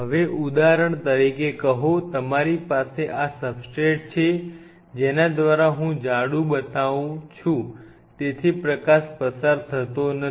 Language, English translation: Gujarati, Now say for example, you have this substrate through which I am just purposefully making if that thick the light does not pass